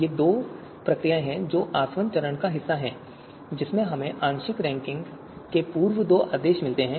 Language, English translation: Hindi, These are the two procedures that are part of the distillation phase wherein we get two pre orders of partial you know you know ranking, right